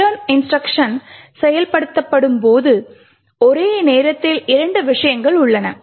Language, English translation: Tamil, Now when the return instruction is executed there are two things that simultaneously occur